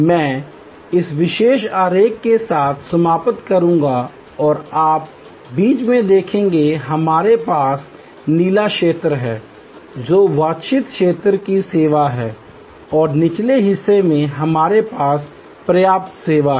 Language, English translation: Hindi, I will conclude with this particular diagram and you see in the middle, we have the blue zone which is that desired level of service and a lower part we have adequate service